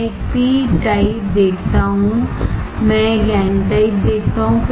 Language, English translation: Hindi, I see a p type I see a n type